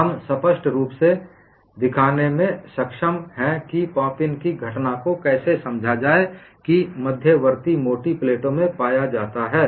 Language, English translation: Hindi, We have been able to show convincingly, how to explain the phenomenon of pop in that is observed in intermediate thick plates